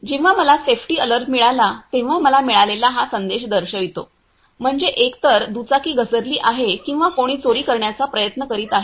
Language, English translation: Marathi, Now I will show this is the message I got, when I got the safety alert means either the bike is fallen or someone tries to steal it